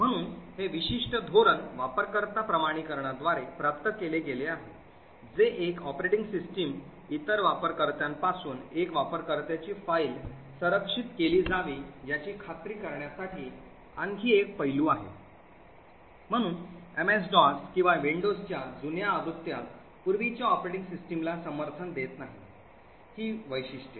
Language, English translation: Marathi, So this particular policy is achieved by user authentication, another aspect which many operating system support is to ensure that one users file should be protected from the other users, so the prior operating systems such as MS DOS and older versions of Windows do not support these particular features